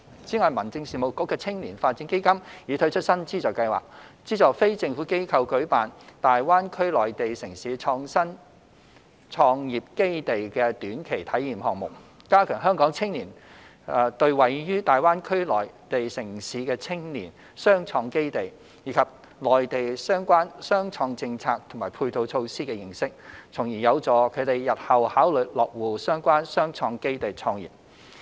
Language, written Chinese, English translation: Cantonese, 此外，民政事務局的青年發展基金已推出新資助計劃，資助非政府機構舉辦大灣區內地城市創新創業基地的短期體驗項目，加強香港青年對位於大灣區內地城市的青年雙創基地，以及內地相關雙創政策和配套措施的認識，從而有助他們日後考慮落戶相關雙創基地創業。, In addition a new funding scheme has been introduced under HABs Youth Development Fund to subsidize NGOs to organize short - term experiential programmes at the innovation and entrepreneurial bases in the Mainland cities in GBA with a view to enriching Hong Kong young peoples understanding of the innovation and entrepreneurial bases as well as the relevant policies and supporting measures on innovation and entrepreneurship of the Mainland . This will in turn assist the young people to consider settling in the relevant innovation and entrepreneurial bases and starting businesses therein in the future